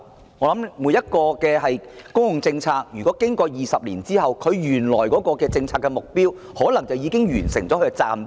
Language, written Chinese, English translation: Cantonese, 我想每項公共政策經過20年後，原來的政策目標可能已經完成任務。, I guess that the original policy objectives of a public policy might have been achieved after 20 years